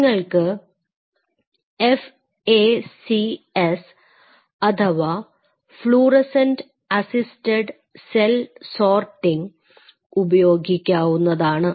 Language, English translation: Malayalam, You can use FACS, which is fluorescent assisted cell sorting